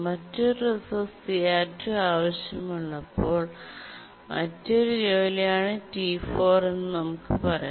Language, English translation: Malayalam, And let's say T4 is another task which is needing a different resource CR2